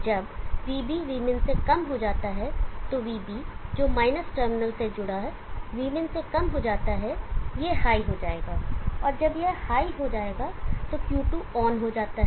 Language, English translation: Hindi, When Vb goes less than Vmin Vb connected to the – terminal goes < V min this will go high and this goes high Q2 goes on